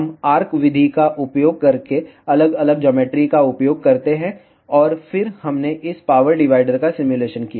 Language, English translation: Hindi, We use the different geometries using arc method, and then we simulated this power divider